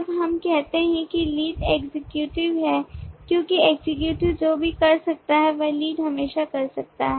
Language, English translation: Hindi, when we say lead is an executive because anything that the executive can do the lead can always do